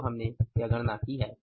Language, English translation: Hindi, So, we have already factored it